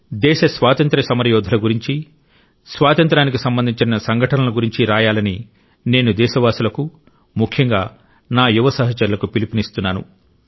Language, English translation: Telugu, I appeal to all countrymen, especially the young friends to write about freedom fighters, incidents associated with freedom